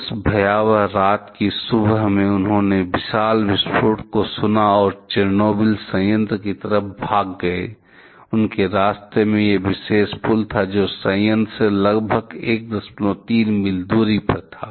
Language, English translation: Hindi, In the early morning of that fateful night, they heard the huge explosion and rush to the plant, rush to the Chernobyl plant and on their way; there was this particular bridge which was just about 1